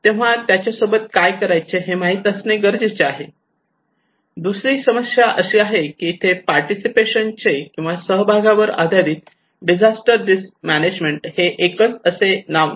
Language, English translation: Marathi, So we need to know what to do them, another problem is that there is no single nomenclature of participations or participatory based disaster risk management